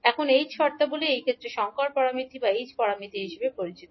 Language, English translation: Bengali, Now h terms are known as the hybrid parameters or h parameters in this case